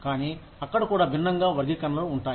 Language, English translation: Telugu, but, even there, there are different classifications